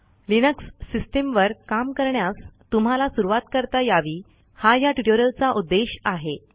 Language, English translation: Marathi, The main motivation of this is to give you a headstart about working with Linux